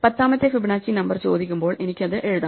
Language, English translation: Malayalam, When I can you ask me for the tenth Fibonacci number, I can write it out